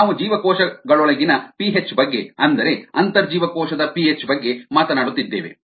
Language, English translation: Kannada, we are talking of intracellular p h, p h inside the cells